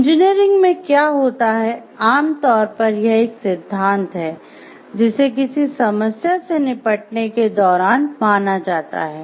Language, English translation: Hindi, So, in engineering what happens there is generally one theory that is considered when tackling a problem